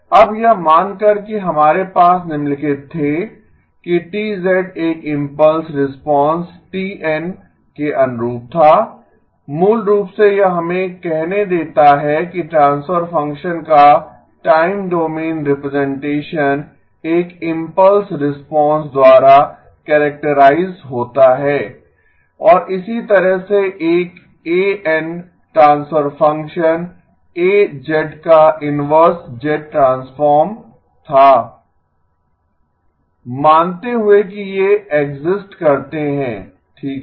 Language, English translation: Hindi, Now supposing we had the following that T of z corresponded to an impulse response t of n basically it let us say that the time domain representation of the transfer function is characterized by an impulse response and in the same way a of n was the inverse z transform of the transfer function A of z, supposing these existed okay